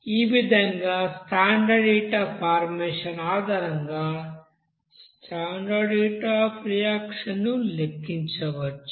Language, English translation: Telugu, So in this way you can calculate what will be the standard heat of reaction based on the standard heat of combustion, okay